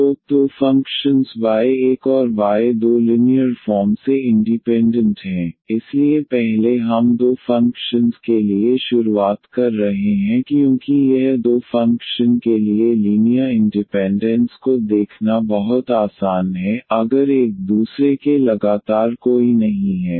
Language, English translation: Hindi, So, two functions y 1 and y 2 are linearly independent, so first we are introducing for two functions because this is much easier to see the linear independence for two function, if one is not the constant multiple of the other